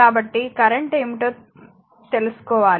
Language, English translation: Telugu, So, you have to find out that what is the current